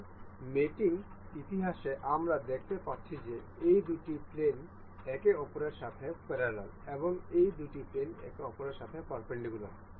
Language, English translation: Bengali, So, in the mating history we can see these two these two planes are parallel with each other and the these two planes are perpendicular with each other